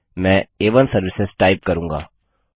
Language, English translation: Hindi, I will type A1 services